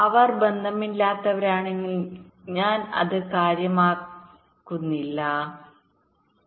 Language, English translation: Malayalam, if they are unrelated i really do not care right